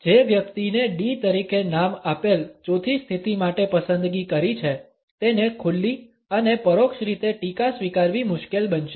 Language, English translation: Gujarati, The person who is opted for the forth position named as D would find it difficult to accept criticism in an open and constructive manner